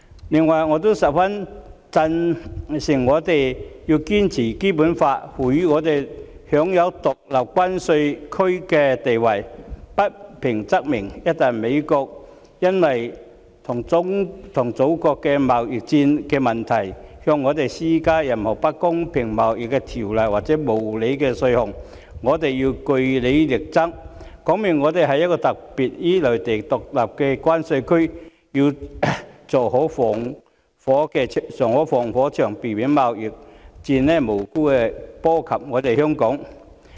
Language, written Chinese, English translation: Cantonese, 此外，我也十分贊成我們要堅持《基本法》賦予我們享有獨立關稅區的地位，不平則鳴，一旦美國因為與祖國進行貿易戰的問題而向我們施加任何不公平貿易條例或無理的稅項，我們便要據理力爭，表明香港是有別於內地的獨立關稅區，要做好防火牆，避免貿易戰無辜波及香港。, Besides I very much agree that our status as a separate customs territory conferred on us by the Basic Law should be persistently upheld . We should cry out against injustice . Once the United States imposes any unfair trade rules or unreasonable tariffs on us because of its trade war with our Motherland we must argue strongly against them on just grounds and reassert Hong Kongs status as a customs territory separate from the Mainland